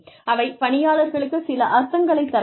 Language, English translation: Tamil, They should have some meaning for the employee